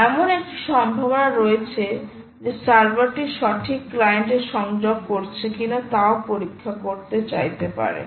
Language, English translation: Bengali, well, there is a possibility that the server may also want to check whether it is connecting to the right client